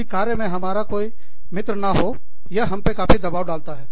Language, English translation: Hindi, If you do not have, friends at work, it can put a lot of pressure, on us